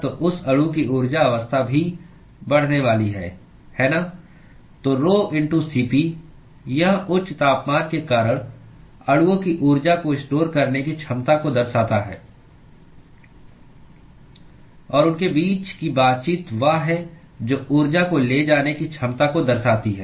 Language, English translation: Hindi, So, the rho*Cp it signifies the ability of the molecules to store heat because of higher temperature; and the interaction between them is the one which is going to signify the ability to transport the heat